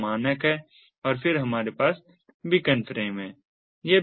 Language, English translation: Hindi, and then we have the beacon frames